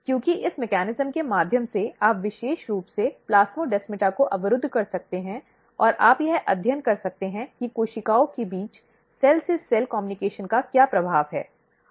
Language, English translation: Hindi, Because through this mechanism you can very specifically block plasmodesmata and you can study what is the effect of cell to cell communication between the cells